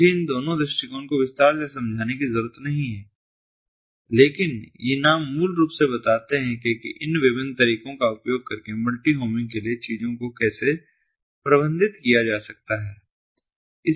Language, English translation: Hindi, i i do not need to explain these two approaches in detail, but these names basically tell how the things are going to managed for multi homing using this different approaches